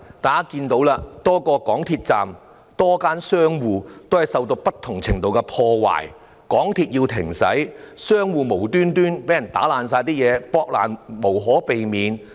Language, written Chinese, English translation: Cantonese, 大家看到多個港鐵站及多間商戶受到不同程度的破壞，港鐵要停駛，有商鋪無故遭人大肆破壞，避無可避。, We saw various MTR stations and shops damaged to varying extents . MTR had to suspend services . Some shops were viciously vandalized for no reason and could not be spared